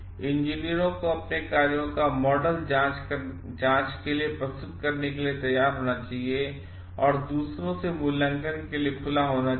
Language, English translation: Hindi, Engineers should be ready to submit their actions to model scrutiny and be open to assessment from others